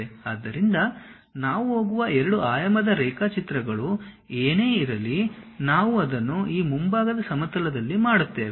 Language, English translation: Kannada, So, whatever the 2 dimensional drawings we go we are going to do we will do it on this front plane